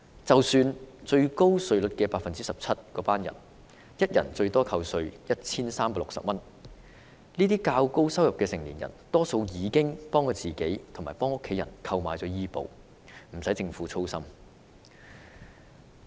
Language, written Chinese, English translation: Cantonese, 即使是達到最高 17% 稅階的市民，每人最多亦只可節省 1,360 元稅款，但這些收入較高的市民大多已經替自己和家人購買醫保，不用政府操心。, Even if wage earners are within the highest tax band of 17 % each of them can at most save 1,360 in tax . However the higher - income group should not be the target of the Government because most of these people have already insured themselves and their family members